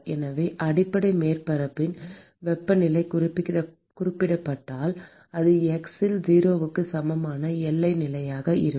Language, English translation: Tamil, And so, if the temperature of the base surface is specified, so that is going to be the boundary condition at x equal to 0